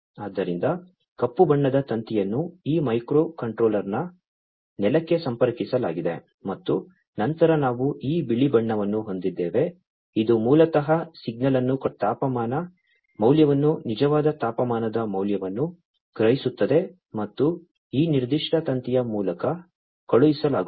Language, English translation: Kannada, So, the black color wired is put on the is connected to the ground of this microcontroller, right and then we have this white colored one which basically sends the signal the temperature value the actual temperature value is sensed and is sent through this particular wire, right